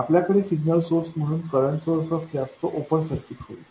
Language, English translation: Marathi, If you had a current source as the signal source it would become an open circuit